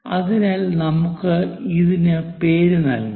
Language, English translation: Malayalam, So, let us name this